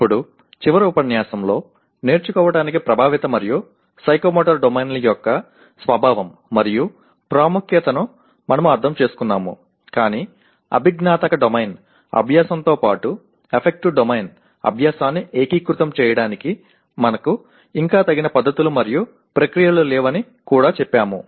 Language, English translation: Telugu, Now in the last unit we understood the nature and importance of affective and psychomotor domains to learning but we also said we as yet we do not have adequate methods and processes to integrate affective domain learning along with the cognitive domain learning